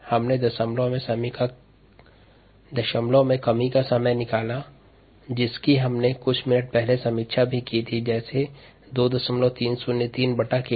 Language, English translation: Hindi, we have derived the decimal reduction time, which we also review a few minutes ago, as two point three naught three by k d